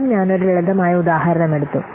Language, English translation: Malayalam, So again, I have taken a simple example